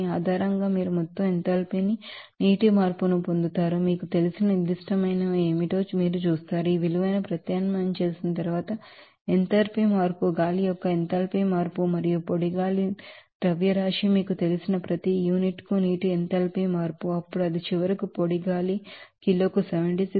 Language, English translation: Telugu, You will get that total enthalpy change of water based on this you know temperature change and after that you will see that what will be the specific you know, enthalpy change after substitution of this value up enthalpy change of air and enthalpy change of the water per unit you know mass of dry air, then it will be coming up finally as 76